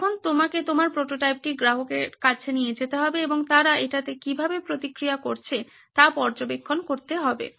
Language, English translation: Bengali, Now you need to take your prototype to the customer and observe how they react to it